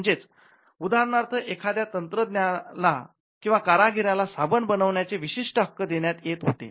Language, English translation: Marathi, So, when a technician or a craftsman was given an exclusive privilege to manufacture soaps for instance